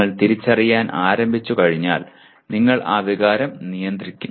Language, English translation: Malayalam, Once you start recognizing and then you control that emotion